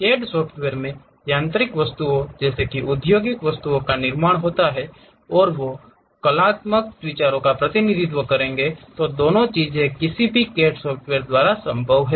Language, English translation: Hindi, The CAD software consists of one creating industrial objects such as mechanical objects, and also they will represent artistic views, both are possible by any CAD software